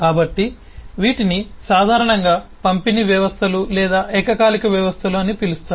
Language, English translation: Telugu, so these are typically called distributed systems or concurrent systems to be more precise